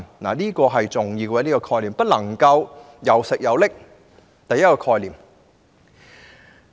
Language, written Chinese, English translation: Cantonese, 這點十分重要，總不能"又食又拎"的。, This is an essential point because you cannot have a cake and eat it too